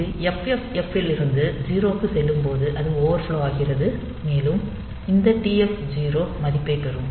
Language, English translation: Tamil, So, when it goes from FFFF to 0 it will overflow and this TF 0 will be getting the value